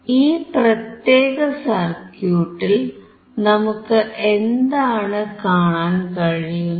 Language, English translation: Malayalam, What we can see in this particular circuit